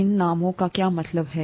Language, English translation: Hindi, What do these names mean